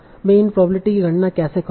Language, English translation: Hindi, So how will you write this probability